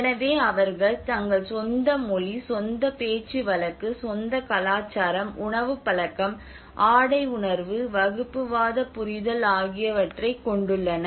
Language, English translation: Tamil, So they have their own language, they have their own dialect, they have their own culture, they have food habits, they have their dressing senses, they have their communal understanding